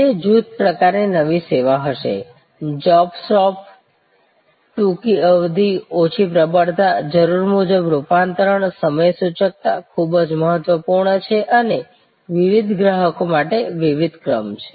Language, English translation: Gujarati, It will be a new service of the batch type, job shop, short duration, low volume, customization, scheduling is very important and there are different sequences for different customers